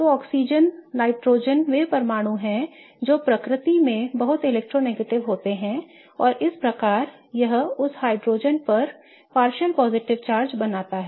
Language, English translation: Hindi, So, oxygen, nitrogen are the atoms that are very electronegative in nature and thus it creates a partial positive charge on that hydrogen